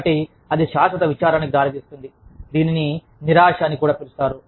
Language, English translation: Telugu, So, that can result in perpetual sadness, which is also called depression